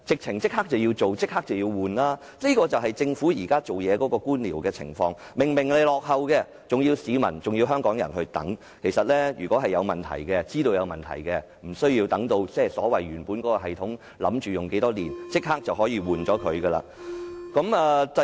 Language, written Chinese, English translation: Cantonese, 應該立即更換才對，這便是政府現時處事的官僚作風，設施明顯落後，還要香港市民等，如果知道有問題，其實無需等到系統預算使用的年期才更換，應該立即更換。, The facility is obviously outdated . But the Government keeps Hong Kong people waiting . In fact if the Government is well aware of the problem it should not wait for the expiry of the useful life of the system but replace it immediately